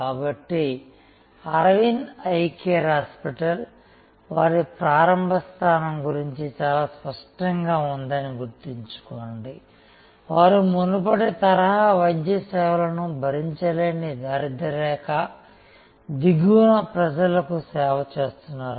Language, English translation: Telugu, So, remember that Aravind Eye Care Hospital was very clear about their initial positioning, they were serving people at the bottom of the economic pyramid, people who could not afford the earlier style of medical services